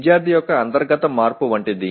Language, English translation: Telugu, Something as internal change of the student